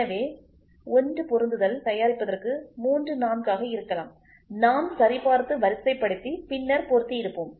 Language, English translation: Tamil, So, for producing 1 assembly may be 3 4 we would have checked and sorted out and then made